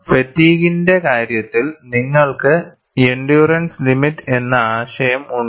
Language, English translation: Malayalam, In the case of fatigue, you have a concept of endurance limit